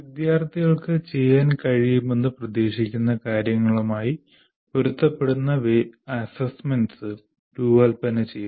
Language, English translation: Malayalam, Designing assessments that are in alignment with what the students are expected to be able to do